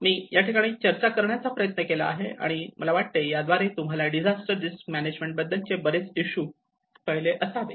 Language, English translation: Marathi, So, I just try to present it as a discussion and I think this will give you an eye opening for variety of issues which are involved in the disaster risk management